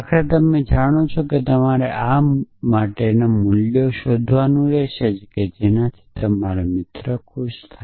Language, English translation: Gujarati, So, eventually you know you have to finds values for these which your friend would be happy with